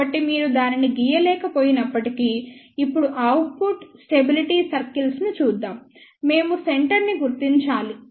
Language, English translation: Telugu, So, even if you cannot draw it is ok, now let us just look at the output stability circles, we have to locate the centre